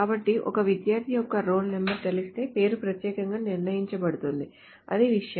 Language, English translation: Telugu, So if one knows the role number of a student the name is uniquely determined